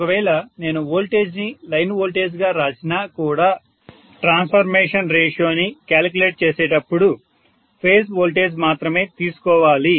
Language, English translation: Telugu, Even though I write the voltages in terms of line voltages, when I calculate the transformation ratio I will always take per phase unless I take per phase